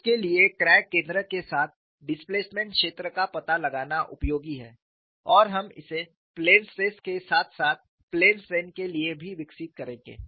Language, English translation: Hindi, For that finding out, the displacement field with crack center as the origin is useful and we would develop it for plane stress as well as plane strain